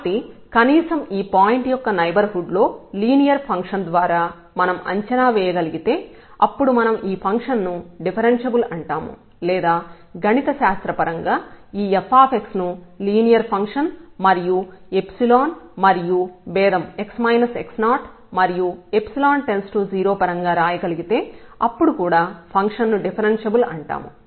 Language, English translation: Telugu, So, at least in the neighborhood of this point if we can approximate by a linear function then we call this function as differentiable or equivalently or mathematically, if we can write down this f x in terms of the linear function and plus the epsilon and this is the difference x minus x naught and this epsilon also goes to 0